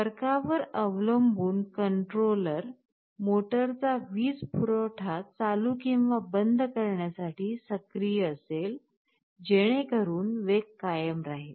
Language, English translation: Marathi, Depending on the difference the controller will be activating the power supply of the motor to turn it on and off, so that speed is maintained